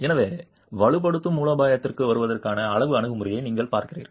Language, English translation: Tamil, And therefore you are looking at a quantitative approach to arriving at the strengthening strategy